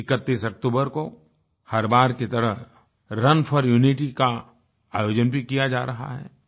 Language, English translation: Hindi, On 31st October, this year too 'Run for Unity' is being organized in consonance with previous years